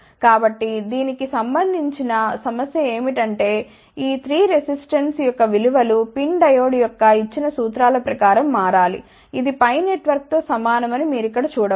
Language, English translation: Telugu, So, the problem associated with this is that these 3 values of resistances of the PIN diode should vary according to the formulas which have been given, for the you can see here this is similar to a pi network